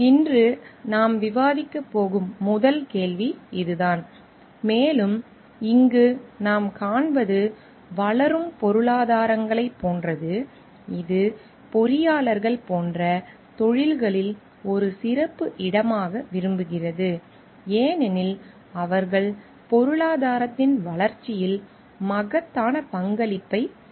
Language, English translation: Tamil, This is the first question that we are going to discuss today and what we find over here is like with the developing economies in place which like as a put special place of interest in professions like engineers because, they make enormous contribution in the development of economy and like because the trust is placed in these economies in the engineers